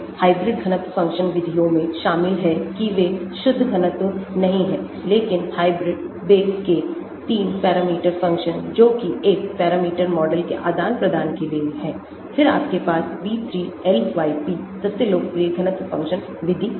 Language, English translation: Hindi, hybrid density function methods includes they are not pure density but hybrid, Becke’s 3 parameter function for exchange one parameter models also are there , then you have B3 LYP, most popular density function method